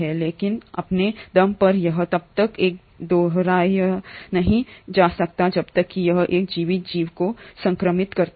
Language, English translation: Hindi, But, on its own, this cannot replicate unless it infects a living organism